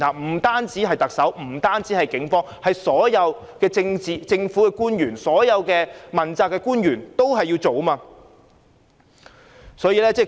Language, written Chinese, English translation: Cantonese, 不單是特首和警方，所有政府官員和問責官員要一起行動。, This is something to be done by all government officials and accountability officials together rather than by merely the Chief Executive and the Police